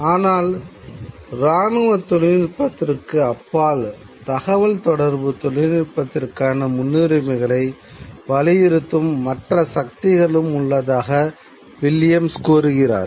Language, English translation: Tamil, He says, but beyond the military technology, there are other kinds of forces which can actually set the priorities for communication technologies